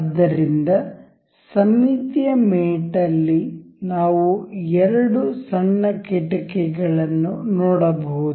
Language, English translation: Kannada, So, in the symmetric mate, we can see here two little windows